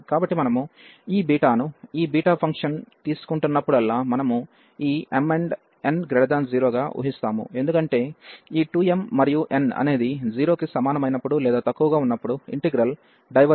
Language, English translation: Telugu, So, whenever we will be taking these beta this beta function, we will assume this m and n greater than 0, because the integral diverges when these 2 m and n are less than equal to 0